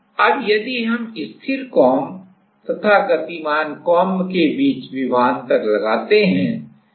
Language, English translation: Hindi, Now, if we apply a potential difference between the static comb and the moving comb